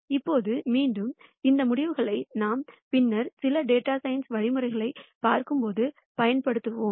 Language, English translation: Tamil, Now again these results we will see and use as we look at some of the data science algorithms later